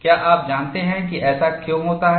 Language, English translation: Hindi, Do you know why this happens